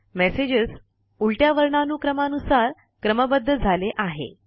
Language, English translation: Marathi, The messages are sorted in the reverse alphabetic order now